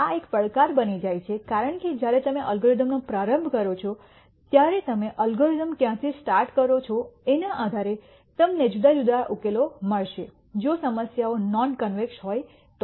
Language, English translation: Gujarati, This becomes a challenge because when you run a data science algorithm depending on where you start the algorithm you will get di erent solutions if the problems are non convex